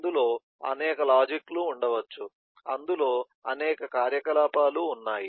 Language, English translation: Telugu, there may be several logics involved in that, several activities involved in that